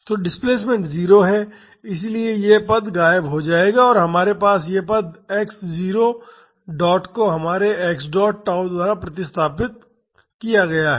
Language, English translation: Hindi, So, the displacement is 0 so, this term will vanish and we have this term with x naught dot replaced by our x dot tau